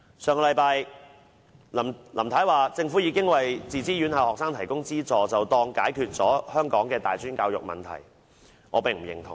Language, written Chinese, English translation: Cantonese, 上星期，林太表示政府已經為自資院校學生提供資助，便當解決了香港的大專教育問題，我並不認同。, In her statement last week Mrs LAM says that the Government has already provided assistance to students studying at self - financing institutions . She seems to think that she has already tackled the problem of tertiary education